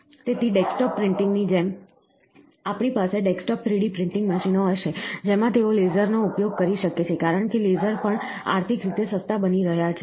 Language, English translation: Gujarati, So, like desktop printing, we will have desktop 3 D printing machines, where in which they can use laser, because the lasers are also becoming economical